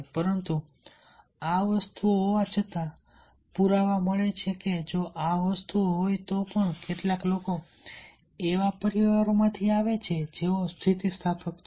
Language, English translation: Gujarati, also, if find the evidence that, even if these things are there, some people also come from that sort of families, those who are resilient